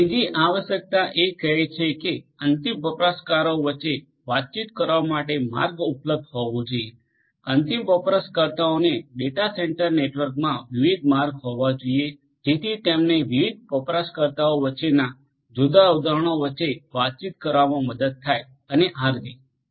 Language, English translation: Gujarati, Say third requirement is that path should be available among the end users to communicate, end users should have different paths in the data centre network which will help them to communicate between different instances between different different users and so on